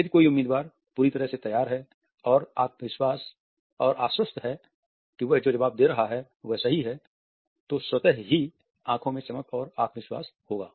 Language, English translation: Hindi, If a candidate is fully prepared and is confident that the answer he or she is providing is correct then automatically there would be a shine and confidence in the eyes